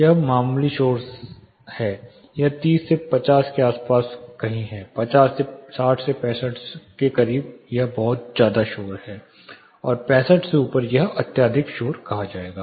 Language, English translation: Hindi, This is moderately noisy to noisy this is between 30 to somewhere around 50 above 50 close to 60 65 this is very noisy and above 65 this would be term extremely noisy